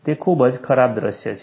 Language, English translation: Gujarati, It is a very bad scenario